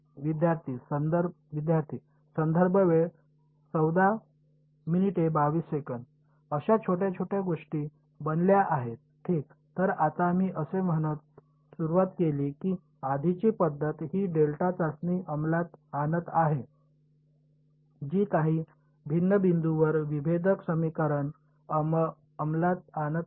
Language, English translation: Marathi, Will be composed of little little such things ok; so now, we started we by saying that the earlier method was enforcing this delta testing it was enforcing the differential equation at a few discrete points